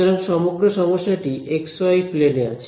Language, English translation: Bengali, So, the entire problem is in the x y plane